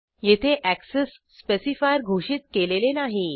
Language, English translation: Marathi, Here I have not declared any access specifier